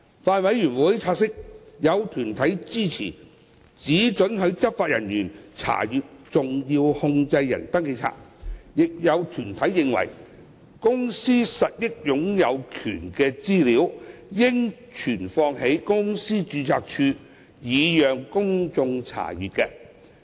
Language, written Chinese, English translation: Cantonese, 法案委員會察悉，有團體支持只准許執法人員查閱登記冊，但也有團體認為公司實益擁有權資料應存放在公司註冊處，以供公眾查閱。, The Bills Committee notes that while some deputations support allowing inspection of SCRs by law enforcement officers only some deputations consider that information on the beneficial ownership of a company should be kept in the Companies Registry for public inspection